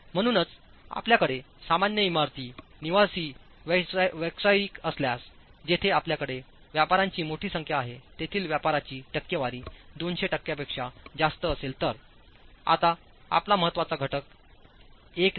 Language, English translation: Marathi, Therefore if you have ordinary buildings, residential, commercial, where the occupancy is more than 200% where you have a large congregation of people, it requires that your important factor is now no longer 1 but 1